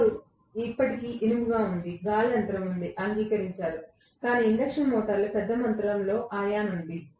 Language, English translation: Telugu, Core is still iron, there is an air gap, agreed, but there is a huge amount of ion involved in induction motor